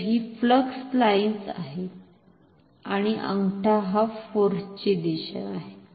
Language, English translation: Marathi, So, this is these are flux lines and the thumb is the direction of the force